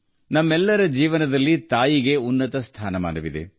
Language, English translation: Kannada, In the lives of all of us, the Mother holds the highest stature